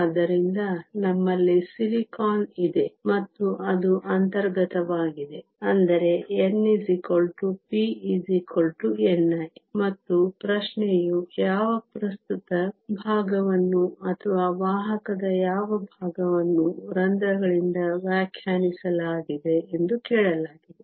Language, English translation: Kannada, So, we have silicon and it is intrinsic which means n equal to p equal to n i, and the question asked what fraction of current or what fraction of conductivity is defined by the holes